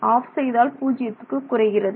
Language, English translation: Tamil, If you switch it off, it drops to zero